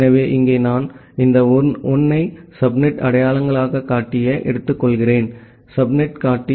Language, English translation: Tamil, so here I am taking this 1 as the subnet identifier, the subnet indicator